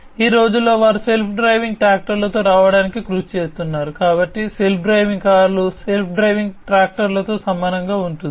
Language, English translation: Telugu, So, nowadays they are also working on coming up with self driving tractors, so something very similar to the self driving cars self driving tractors